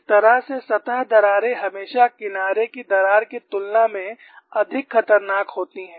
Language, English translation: Hindi, So, that way surface cracks are always more dangerous than edge cracks